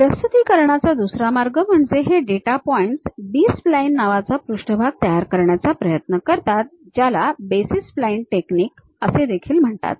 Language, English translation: Marathi, ah The other way of representation, these data points trying to construct surfaces called B splines, which is also called as basis splines technique